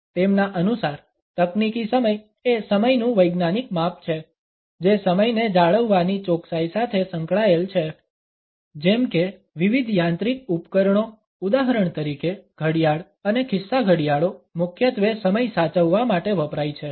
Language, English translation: Gujarati, Technical time according to him is the scientific measurement of time which is associated with the precision of keeping the time the way different mechanical devices for example, clock and watches primarily are used to keep time